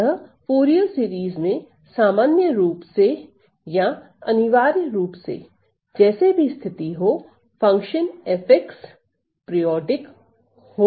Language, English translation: Hindi, So, Fourier series are in general or necessarily must be for the case, where f x the function f is periodic